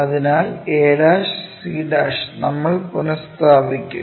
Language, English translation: Malayalam, So, that a' to c' we will rescale it